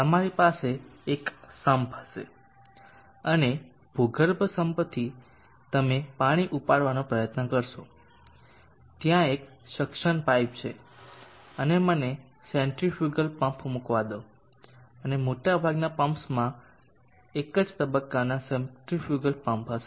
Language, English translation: Gujarati, You will have sum and from the underground sum you will try to lift water, there is a suction pipe and let me put a centrifugal pump and most of the pumps will be having a single phase centrifugal pump